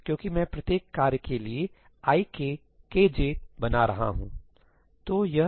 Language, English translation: Hindi, Because I am creating a task for each i k k j